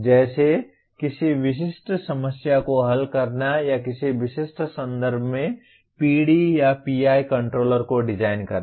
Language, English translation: Hindi, Like solving a specific problem or designing a PD or PI controller in a specific context